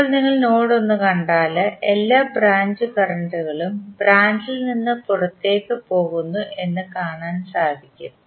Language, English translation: Malayalam, Now, if you see node 1 you can see you can assume that all branch current which are leaving the node you will assume that all branch currents are leaving the node